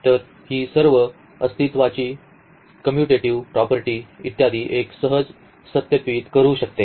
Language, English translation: Marathi, So, all those existence all this commutativity property etcetera one can easily verify